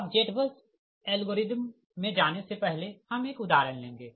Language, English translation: Hindi, right now, before going to the z bus algorithm, before going to the z bus algorithm, we will take one example